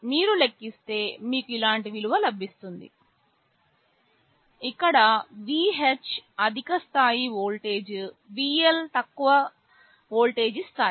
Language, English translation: Telugu, If you calculate you will get a value like this, where VH is the high level of voltage, VL is the low level of voltage